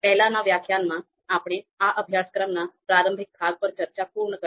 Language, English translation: Gujarati, So in previous lecture, we completed our discussion on the introductory part of this course